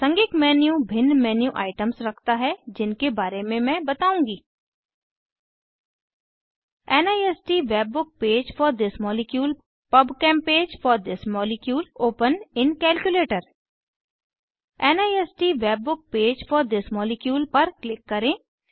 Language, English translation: Hindi, Contextual menu contains different menu items, of which, I will discuss about * NIST WebBook page for this molecule * PubChem page for this molecule * Open in Calculator Click on NIST Web page for this molecule Alanines NIST webpage opens